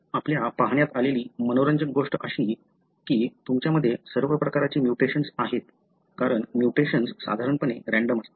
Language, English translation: Marathi, What is interesting that we have looked at is that you have all sorts of mutations, because the mutations normally are random